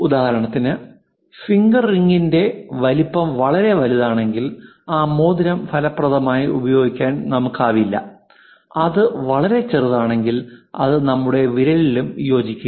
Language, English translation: Malayalam, Even for example, the finger rings what we use if it is too large we will not be in a position to effectively use that ring, if it is too small it does not fit into our finger also